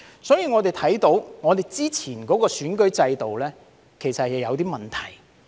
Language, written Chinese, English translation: Cantonese, 所以，我們看到之前的選舉制度其實是有問題。, Therefore we can see that the previous electoral system is actually problematic